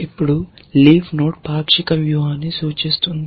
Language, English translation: Telugu, Now, a leaf node, you can say is represents a partial strategy